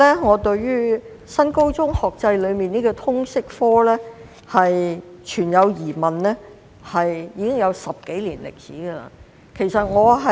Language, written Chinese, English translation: Cantonese, 我對於新高中學制的通識教育科存有疑問，已有10多年之久。, I have had doubts about the subject of Liberal Studies LS under the New Senior Secondary NSS academic structure for more than a decade